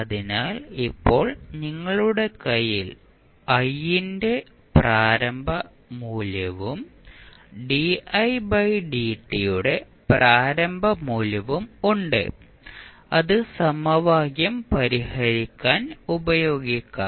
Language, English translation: Malayalam, So, now you have the initial value of I and initial value of di by dt in your hand which you can utilize to solve the equation